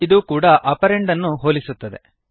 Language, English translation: Kannada, This too compares the operands